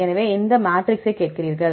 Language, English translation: Tamil, So, you ask for the matrix